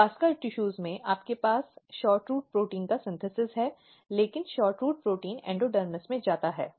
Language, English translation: Hindi, So, you have vascular tissues these are the vascular tissues, in vascular tissues you have synthesis of SHORTROOT protein, but SHORTROOT protein they moves to the endodermis